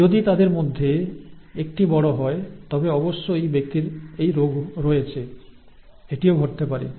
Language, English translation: Bengali, If one of them is capital then the person definitely has the disease, that can also happen